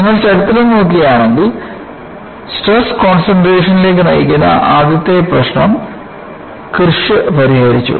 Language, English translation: Malayalam, If you look at the History, the first problem leading to stress concentration was solved by Kirsch